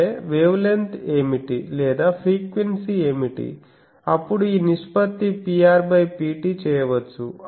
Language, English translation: Telugu, That means, what is the wavelength or what is the frequency and this ratio P r by P t so this can be done